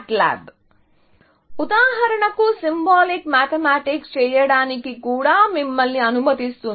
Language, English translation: Telugu, Some MATLAB, for example, will also allow you to do symbolic mathematics